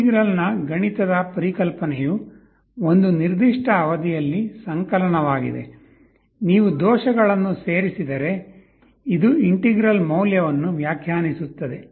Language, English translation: Kannada, For integral the mathematical concept is summation over a certain period of time, if you just add up the errors this will define the value of the integral